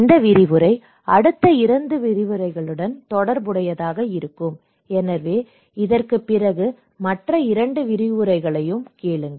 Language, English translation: Tamil, So, this series; this lecture would be in relationship with another two successive lectures, so please stay tuned and listen the other two lectures after this one, okay